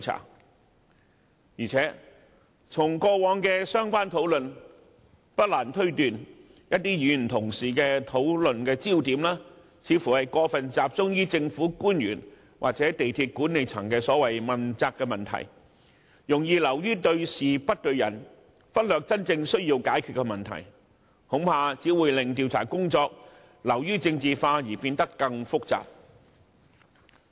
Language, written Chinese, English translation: Cantonese, 再加上，根據過往的相關討論，不難推斷某些議員的討論焦點有可能會過分集中於政府官員或港鐵公司管理層的問責問題，容易流於對事不對人，忽略真正需要解決的問題，恐怕只會令調查工作流於政治化及變得更複雜。, What is more it is not difficult to tell from similar discussions in the past that certain Members may in the course of discussion place too much emphasis on the accountability of government officials or the management of MTRCL and take the matter too personal thereby overlooking the genuine need to tackle the problem . I am afraid that this would only make the investigation too political and complicated